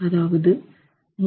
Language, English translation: Tamil, It could be 3